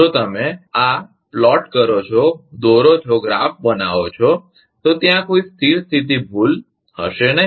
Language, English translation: Gujarati, If you plot this, so, there will be no steady state error